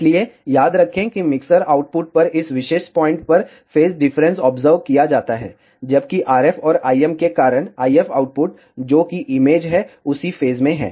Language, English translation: Hindi, So, remember that, the phase difference is observed at this particular point at the mixer output, whereas the IF output because of RF and IM, which is the image are at the same phase